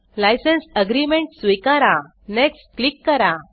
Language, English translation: Marathi, Accept the license agreement click Next